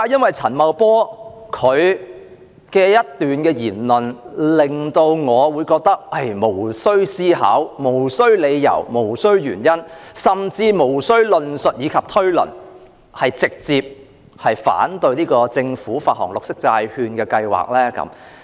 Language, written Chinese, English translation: Cantonese, 為何陳茂波的一番言論，會令我無須思考、無須理由、無須原因甚至無須論述及推論，便直接反對政府發行綠色債券的計劃呢？, It is just because of one person Paul CHAN . Why do Paul CHANs remarks make me oppose the Governments plan to issue green bonds rightaway without having to give it some thought without any grounds and reasons or even not having to undergo discussion and inference?